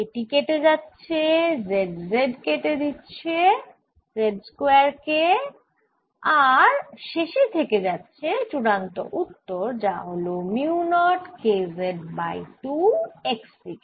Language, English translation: Bengali, this cancel z, z cancels z square, and you left with final answer which is mu, not k over two, in the x direction